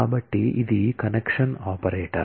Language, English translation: Telugu, So, this is the connection operator